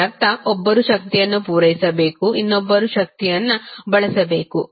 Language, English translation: Kannada, It means 1 should supply the power other should consume the power